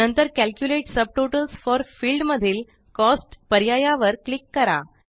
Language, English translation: Marathi, Next, in the Calculate subtotals for field click on the Cost option